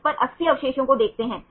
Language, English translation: Hindi, So, it can have accommodate more residues